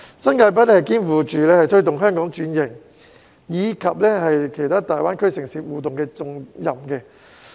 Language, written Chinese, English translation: Cantonese, 新界北肩負推動香港轉型，以及與其他大灣區城市互動的重任。, New Territories North has on its shoulder the responsibility of promoting the restructuring of Hong Kong and interacting with other cities in GBA